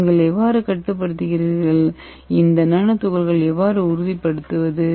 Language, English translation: Tamil, And how do you control and how do you stabilize this nano particle